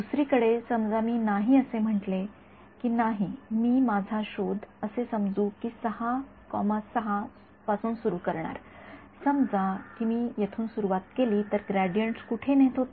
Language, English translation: Marathi, On the other hand, supposing I said no I will start my search from let us say (6,6) supposing I have start from here where do was the gradients taking